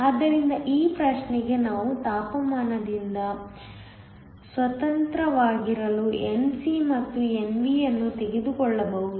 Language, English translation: Kannada, So, for this problem we can take Nc and Nv to be independent of temperature